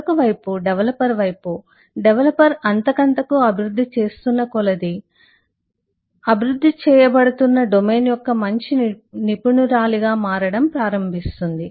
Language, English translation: Telugu, more and more the developer develops, she start becoming a better expert of the domain in which the software is being developed